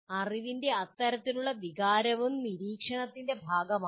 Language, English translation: Malayalam, So this kind of feelings of knowing is also part of monitoring